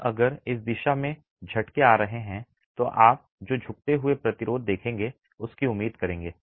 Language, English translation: Hindi, And if there is shaking in this direction, what would you expect given the bending resistances that you see